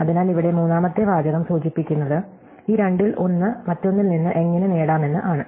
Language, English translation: Malayalam, So, the third sentence here indicates how one might obtain one of these two from the other